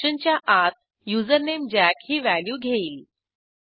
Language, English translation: Marathi, Whereas inside the function, username takes the value jack